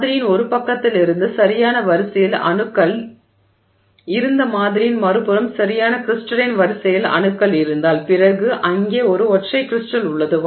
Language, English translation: Tamil, Now, if you have atoms in perfect order from one side of the sample to the other side of the sample in perfect crystal in order then that is a single crystal